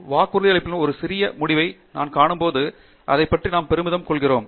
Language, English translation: Tamil, When we see one small result that is promising and we are proud of it